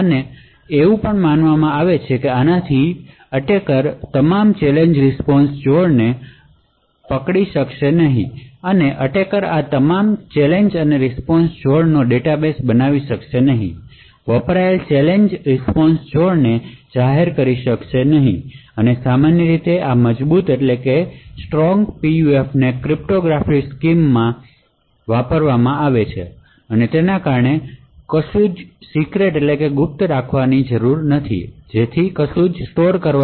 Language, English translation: Gujarati, And it is also assumed that because of this the attacker will not be able to capture all the Challenge Response Pairs or attacker will not be able to build a database of all these challenge response pairs therefore, the used challenge response pairs can be made public and typically these strong PUF will not require cryptographic scheme because there is nothing secret which needs to be stored